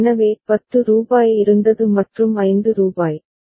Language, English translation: Tamil, So, rupees 10 was there and rupees 5